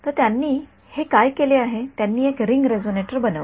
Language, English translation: Marathi, So, what have they done this they made a ring resonator ok